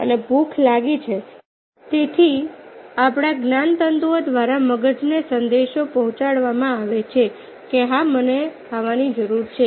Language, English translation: Gujarati, i am getting hungry, so the message is communicated through our nerves to the brain that, yes, i need some food